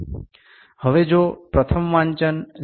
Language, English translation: Gujarati, Now if the first reading is 0